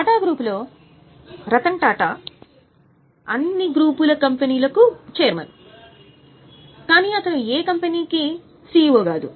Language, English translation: Telugu, In Tata Group, you know Rattan Tata is chairman of all Tata group companies but is not CEO of any company